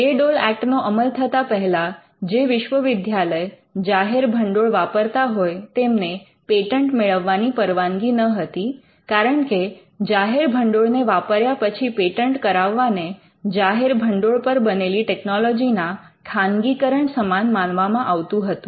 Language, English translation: Gujarati, Now, before the Bayh Dole Act came into force any university which was using public funds was not allow to patent because, it involved use of public funds and, patenting with the use of public funds could be seen as privatizing technology which was created using public funds